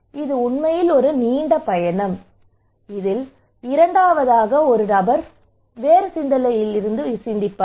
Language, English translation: Tamil, It is really a long journey, so the second person what he would think